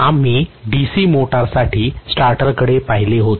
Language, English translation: Marathi, We had looked at the starter for a DC motor